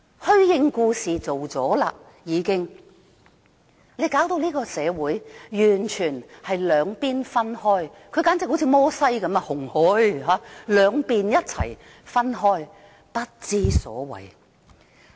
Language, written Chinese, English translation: Cantonese, 虛應故事已做了，她把這個社會弄得完全分開兩邊——她簡直好像摩西分紅海般，向兩面一起分開，真的不知所謂。, In this way she pretends that she has done the job . She has ripped the society into two parts―like Moses parting the Red Sea . She has split society into two